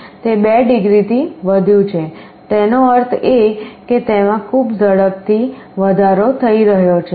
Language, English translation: Gujarati, So, it has increased by 2 degrees; that means, increasing very fast